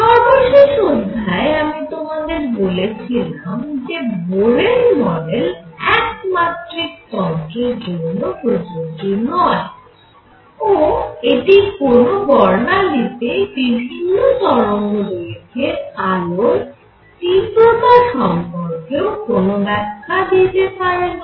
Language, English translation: Bengali, At the end of that, the final lecture I had said that Bohr model cannot be applied to one dimensional systems and also I had said that it did not give the intensities of various wavelengths light in the spectrum